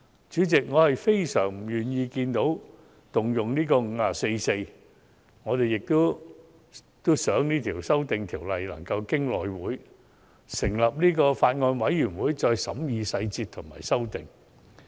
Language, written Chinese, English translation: Cantonese, 主席，我非常不願意看到引用《議事規則》第544條，而且也希望經內務委員會成立法案委員會審議《條例草案》的細節和提出修訂。, President I very much hate to see the invocation of Rule 544 of the Rules of Procedure and I for one also hope that a Bills Committee can be formed under the House Committee to scrutinize the details of the Bill and propose amendments